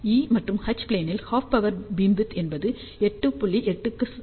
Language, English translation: Tamil, So, half power beamwidth in e and H plane is 8